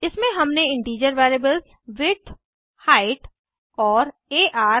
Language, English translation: Hindi, In this we have declared integer variables as width,height and ar